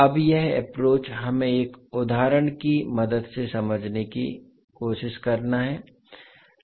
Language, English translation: Hindi, Now this particular approach let us try to understand with the help of one example